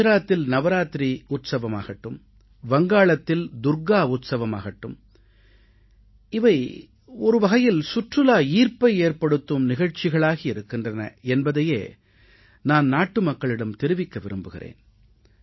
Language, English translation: Tamil, And I would like to mention to my countrymen, that festivals like Navaratri in Gujarat, or Durga Utsav in Bengal are tremendous tourist attractions